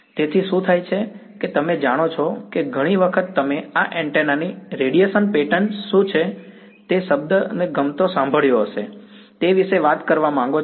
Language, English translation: Gujarati, So, what happens is that you know many times you want to talk about what is the radiation pattern we have heard the word likes what is the radiation pattern of this antenna